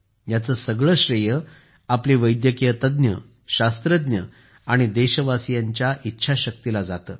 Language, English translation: Marathi, Full credit for this goes to the willpower of our Medical Experts, Scientists and countrymen